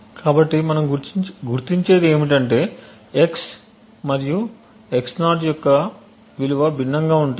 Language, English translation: Telugu, So, what we identify is that the value of x and x~ is going to be different